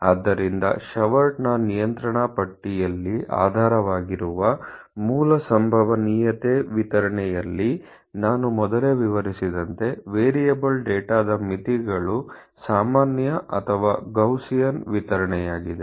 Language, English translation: Kannada, So, the basic probability distribution underlying the Shewhart's control charts, as I think I had illustrated earlier limits for variable data is the normal or Gaussian distribution